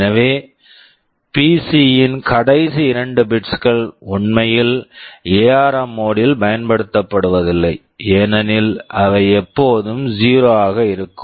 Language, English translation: Tamil, So, the last two bits of PC are actually not used in the ARM mode, as they will always be 0